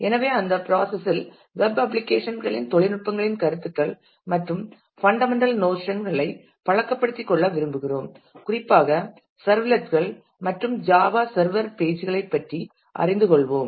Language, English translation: Tamil, So, we would in that process like to familiarize with the fundamental notions of notions and technologies of web applications and specifically we would learned about servlets and Java server pages